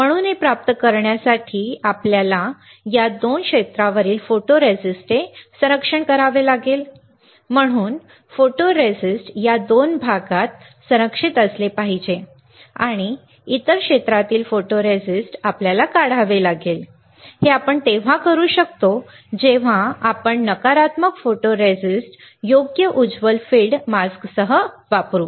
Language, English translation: Marathi, So, to obtain that we have to protect the photoresist on this 2 area right, so, our photoresist should be protected in this two areas and from other area photoresist we have to etch out that we can do when we use negative photoresist with a bright field mask correct with a bright field mask